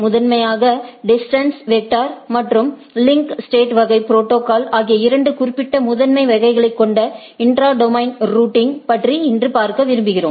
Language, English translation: Tamil, Primarily, we today we would like to look at the intra domain routing which has two specific primary category of distance vector and link state type of protocol right